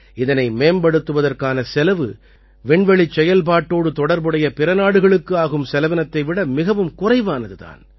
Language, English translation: Tamil, Its development cost is much less than the cost incurred by other countries involved in space missions